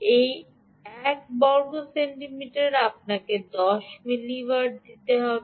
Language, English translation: Bengali, centimeter should give you ten milliwatt